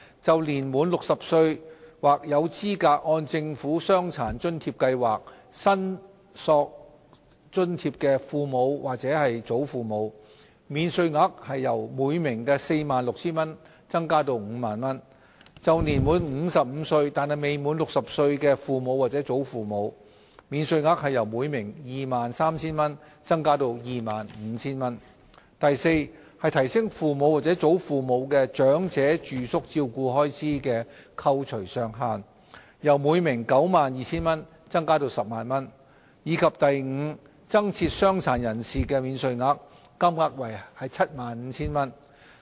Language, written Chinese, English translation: Cantonese, 就年滿60歲或有資格按政府傷殘津貼計劃申索津貼的父母或祖父母，免稅額由每名 46,000 元增至 50,000 元；就年滿55歲但未滿60歲的父母或祖父母，免稅額由每名 23,000 元增至 25,000 元； d 提升父母或祖父母的長者住宿照顧開支的扣除上限，由每名 92,000 元增加至 100,000 元；及 e 增設傷殘人士免稅額，金額為 75,000 元。, For each parent or grandparent who is aged 60 or above or who is eligible to claim an allowance under the Governments Disability Allowance Scheme the allowance will be increased from 46,000 to 50,000; for each parent or grandparent who is aged 55 or above but below 60 the allowance will be increased from 23,000 to 25,000; d raising the deduction ceiling for elderly residential care expenses for each parent or grandparent from 92,000 to 100,000; and e introducing a new personal disability allowance of 75,000